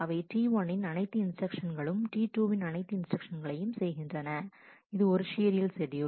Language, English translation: Tamil, Where all instructions of T 1 is followed by all instructions of T 2 which is a serial schedule